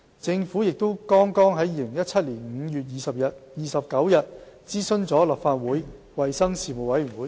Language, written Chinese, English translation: Cantonese, 政府也剛於2017年5月29日諮詢了立法會衞生事務委員會。, The Government also just consulted Legislative Councils Panel on Health Services on 29 May 2017